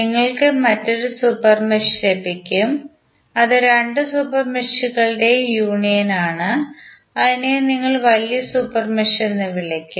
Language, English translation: Malayalam, You will get an another super mesh which is the union of both of the super meshes and you will call it as larger super mesh